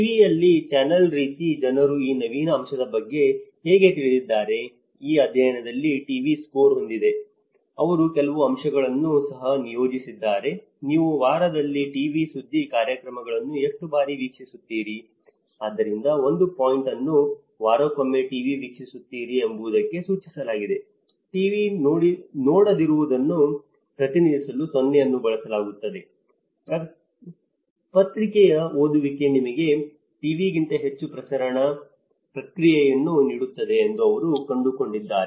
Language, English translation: Kannada, Like in TV is one channel how people know about this innovative aspect but here in this study TV has score, they have also assigned some points, how often do you watch TV news programs in a week, so where 1 point is referred to TV watching once in a week, 7 in a week, 0 is do not watch, but then in this finding, they have found that the newspaper reading has given you know the more diffusive process rather than the TV watching